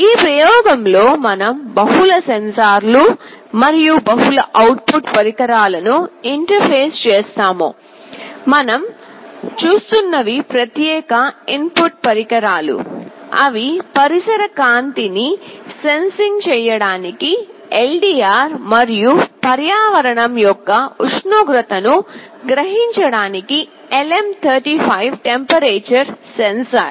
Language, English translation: Telugu, In this experiment as it said we shall be interfacing multiple sensors and multiple output devices; specifically the input devices that we shall be looking at are LDR for sensing ambient light and a LM35 temperature sensor for sensing the temperature of the environment